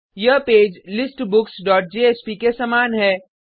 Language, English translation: Hindi, This page is similar to that of listBooks dot jsp